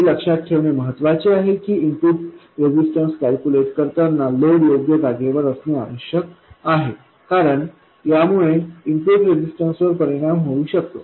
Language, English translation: Marathi, It is important to remember that while calculating the input resistance, the load must be in place because this can affect the input resistance